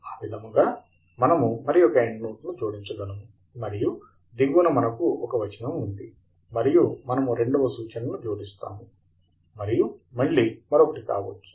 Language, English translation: Telugu, So, we add one more endnote, and at the bottom we have the text, and we would add the second reference, and again, may be one more